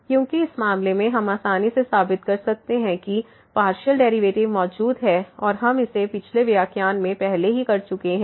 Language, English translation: Hindi, Because in this case we can easily a prove that the partial derivatives exist and we have already done this in previous lectures